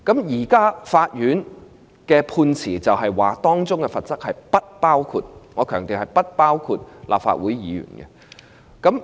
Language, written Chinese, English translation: Cantonese, 在現階段，法院的判詞指出，相關罰則不包括——我強調是不包括——立法會議員。, At this point the ruling of the Court states that Members are excluded―I stress excluded―from the relevant penalties